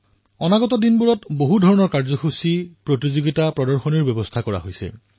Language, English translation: Assamese, In the times to come, many programmes, competitions & exhibitions have been planned